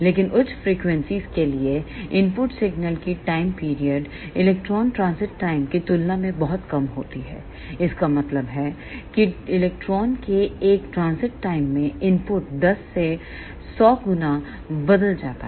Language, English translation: Hindi, But for higher frequencies, the time period of the input signal is very very less than the electron transit time that means, the input changes 10 to 100 times in one transit time of an electron